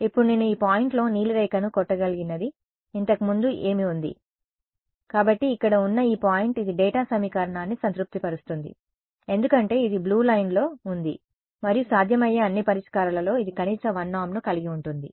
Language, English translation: Telugu, Now, what is the earliest I can hit this blue line is at this point; so, this point over here it satisfies the data equation because it is on the blue line and it of all possible solutions it is that which has the minimum 1 norm right